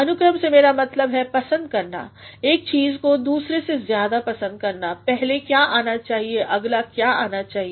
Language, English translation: Hindi, By the order, I mean preferring preference of one thing over another, what should come first, what should come next